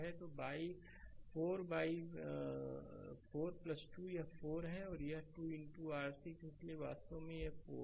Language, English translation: Hindi, So, 4 by 4 plus 2, this is 4 and this is 2 into your 6 so, that is actually 4 ampere